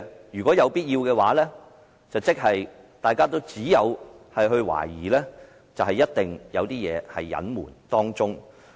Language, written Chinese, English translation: Cantonese, 如果有必要那樣做，大家只能懷疑，當中一定有所隱瞞。, If he found it necessary to do so our guess is that there must be some cover - ups